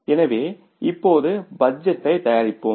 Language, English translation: Tamil, So now let us go for preparing the budget